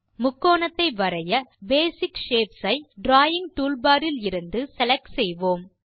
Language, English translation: Tamil, To draw a triangle, select Basic shapes from the Drawing toolbar